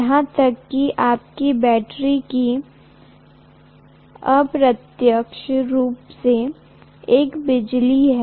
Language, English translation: Hindi, Even your battery indirectly is you know electricity basically